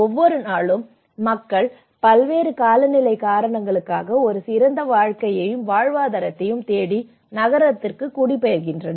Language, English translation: Tamil, Every day people are migrating to the city looking for a better life and livelihood for various climatic reasons